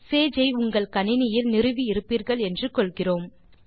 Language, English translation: Tamil, So let us start Sage now We are assuming that you have Sage installed on your computer now